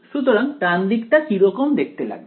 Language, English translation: Bengali, So, what should the right hand side actually be